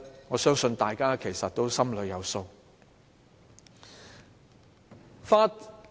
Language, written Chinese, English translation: Cantonese, 我相信大家心裏有數。, I think all of us already have the answer